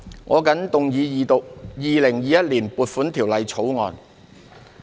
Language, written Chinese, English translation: Cantonese, 我謹動議二讀《2021年撥款條例草案》。, I move the Second Reading of the Appropriation Bill 2021